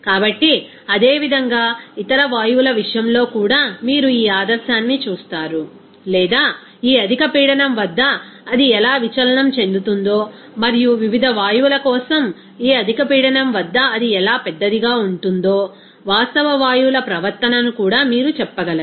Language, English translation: Telugu, So, similarly for other gases also you will see that this ideality or you can say that how it will be deviated at this high pressure and also real gases behavior how it will be magnified at this high pressure for different gases